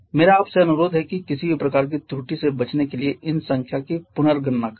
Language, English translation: Hindi, I request you to recalculate these numbers just to avoid any possible kind of error